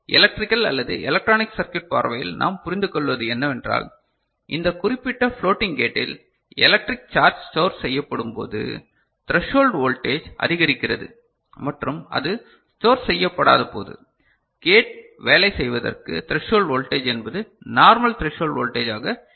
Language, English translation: Tamil, From electrical or electronics circuit point of view what we understand is that in this particular floating gate electrical charge when it is stored the threshold voltage increases and when it is not stored, threshold voltage is the normal threshold voltage that you see for the gate to work ok